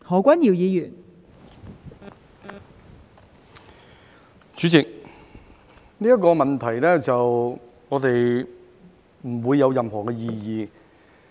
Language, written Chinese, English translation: Cantonese, 代理主席，對於這個問題，我們不會有任何的異議。, Deputy President we will not have any objection to this issue